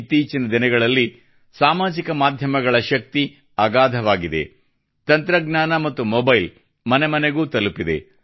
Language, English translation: Kannada, Nowadays, the power of social media is immense… technology and the mobile have reached every home